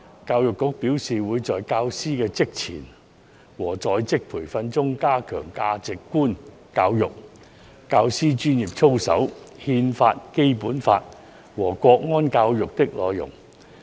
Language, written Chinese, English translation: Cantonese, 教育局表示，會在教師的職前和在職培訓中，加強價值觀教育、教師專業操守、《憲法》、《基本法》和國安教育的內容。, EDB has indicated that it will strengthen in the pre - service and in - service teacher training the contents on values education teachers professional conduct the Constitution the Basic Law and national security education